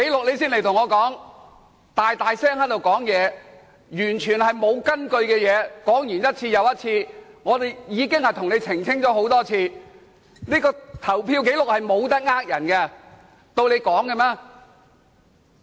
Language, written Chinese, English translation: Cantonese, 你在此大聲說完全沒有根據的事情，說完一次又一次，我們已經多次向你澄清了，投票紀錄是無法騙人的，豈容你亂說。, You are making remarks aloud which are totally unfounded and you kept repeating them . We have clarified that many times . Voting results do not lie and you should not make untrue remarks about us